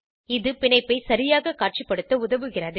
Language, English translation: Tamil, This helps to visualize the bond correctly